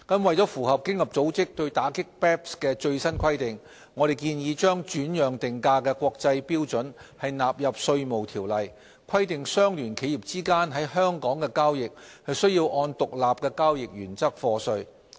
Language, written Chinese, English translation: Cantonese, 為符合經合組織對打擊 BEPS 的最新規定，我們建議將轉讓定價的國際標準納入《稅務條例》，規定相聯企業之間在香港的交易須按獨立交易原則課稅。, In order to comply with OECDs latest requirements against BEPS we propose to codify the international standards of transfer pricing into IRO so that the transactions between associated enterprises in Hong Kong will be taxed on the basis that they are effected at arms length